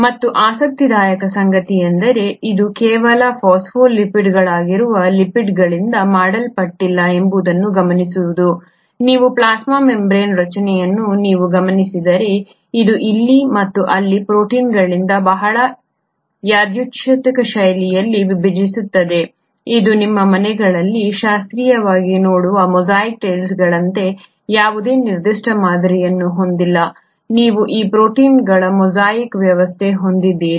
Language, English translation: Kannada, And what is interesting is to note that it is not just made up of lipids that is the phospholipids, on a routine basis if you were to look at the structure of the plasma membrane you find that, it kind of get interspersed in a very random fashion by proteins here and there, it is almost like the mosaic tiles that you see in your homes classically which has no specific pattern, you just have a mosaic arrangement of these proteins